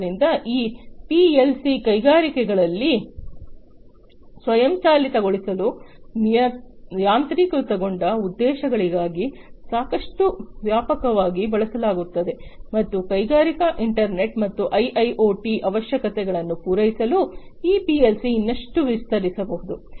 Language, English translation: Kannada, So, these PLC’s are quite widely used in the industries to automate, for automation purposes and these PLC’s could be extended further to be able to serve the industrial internet and IIoT requirements